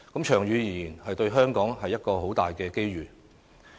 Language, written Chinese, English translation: Cantonese, 長遠而言，對香港是一個很大的機遇。, It is a remarkable opportunity for Hong Kong in the long run